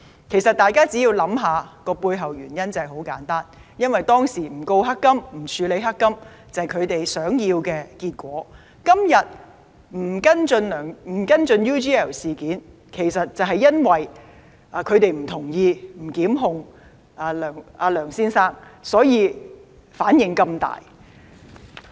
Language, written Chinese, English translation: Cantonese, 其實大家只要想想，背後原因很簡單，因為當時不控告、不處理"黑金"，便是他們想要的結果，而今天不跟進 UGL 事件，其實就是因為他們不同意不向梁先生作出檢控，所以才有如此大的反應。, In fact if we think it over the reason behind that is very simple . It was because the Department decided not to initiate any prosecution and not to deal with the black gold incident which was the outcome they wanted . However they react strongly today because they find it unacceptable that the department has decided not to follow up the UGL case and not to prosecute LEUNG Chun - ying